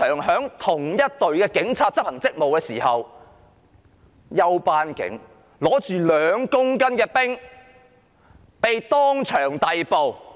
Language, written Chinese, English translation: Cantonese, 在同一隊警察執行職務時，休班警署警長手執2公斤冰毒被當場逮捕。, When the same team of policemen were discharging their duties an off - duty station sergeant carrying 2 kg of ice was caught red - handed